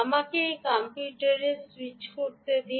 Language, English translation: Bengali, ok, let me now switch to ah the computer